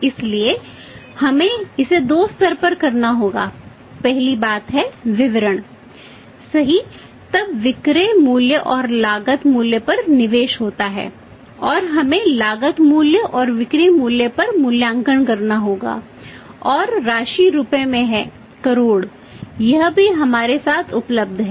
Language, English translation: Hindi, So, we will have to do it at two levels first thing is particulars right then is the say as investment at the selling price at selling price and at we have to evaluate the price at cost price selling price and at the cost price and amount is in Rupees crores amount is in Rupees crores this also available with us